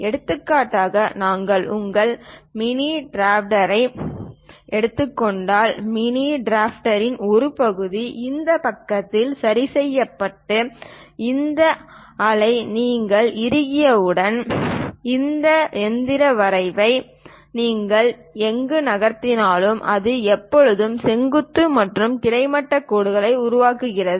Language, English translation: Tamil, For example, if we are taking your mini drafter, one part of the mini drafter is fixed on one side and once you tighten this scale; wherever you move this mechanical drafter, it always construct vertical and horizontal lines